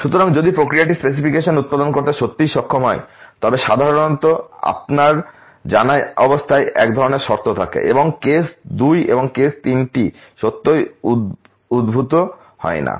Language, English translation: Bengali, So, if process is really capable of producing the specification would typically have the case one type of condition you know and case two and case three would really not emerge